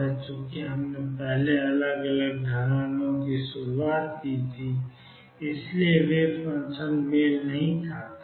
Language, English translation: Hindi, Since we started with different slopes first the wave function did not match